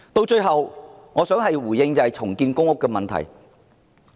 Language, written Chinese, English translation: Cantonese, 最後，我想回應重建公屋的問題。, Lastly I would like to make a response on redevelopment of PRH